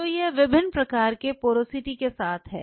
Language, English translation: Hindi, So, this is with the different kind of porosity